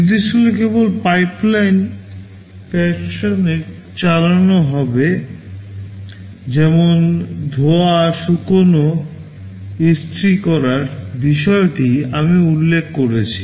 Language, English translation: Bengali, The instructions will be executing in a pipeline fashion just like that washing, drying, ironing I mentioned